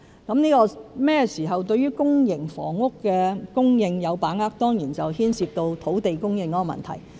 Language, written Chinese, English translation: Cantonese, 至於甚麼時候對於公營房屋的供應有把握，當然牽涉到土地供應的問題。, As to when we should feel confident about the PRH supply the answer surely relates to the issue of land supply